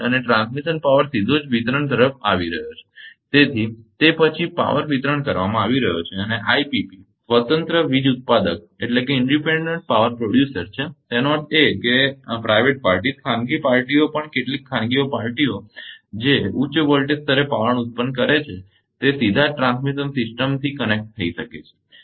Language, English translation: Gujarati, And transmission power is coming directly to the distribution right and then power is being distributed and IPP is independent power producer; that means, private parties also some time it parties which are generating wire at high voltage level directly can be connected to the transmission system